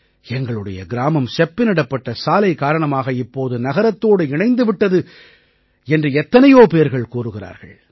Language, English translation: Tamil, Many people say that our village too is now connected to the city by a paved road